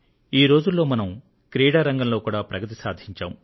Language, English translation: Telugu, Recently, India has had many achievements in sports, as well as science